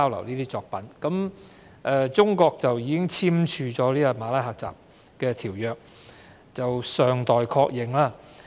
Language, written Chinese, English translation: Cantonese, 至於中國是否已經簽署《馬拉喀什條約》，則尚待確認。, The question of whether China has signed the Marrakesh Treaty is yet to be confirmed